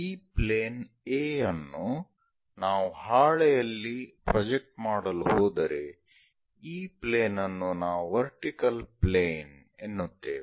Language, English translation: Kannada, So, this plane A if we are going to project it on a sheet plane, this plane is a vertical plane